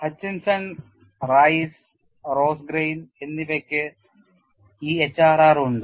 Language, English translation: Malayalam, That is, because Hutchinson Rice and Rosengren you have this HRR